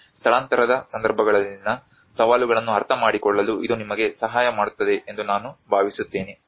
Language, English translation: Kannada, I hope this will help you in understanding the challenges in the relocation contexts